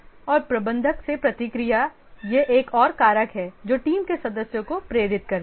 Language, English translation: Hindi, And the feedback from the manager that is another factor which motivates the team members